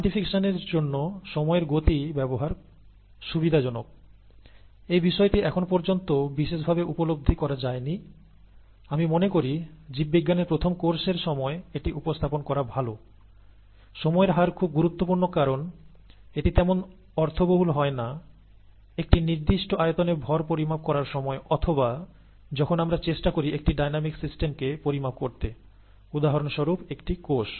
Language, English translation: Bengali, The time rates are convenient to use for quantification, this is something that has not been realized much, and I think it is best to present it during a first course in biology; that the time rates are rather important I mean are very important, it is, it does not make much sense to deal with just masses in volumes and so on and so forth, when we are trying to quantify a dynamic system, such as a cell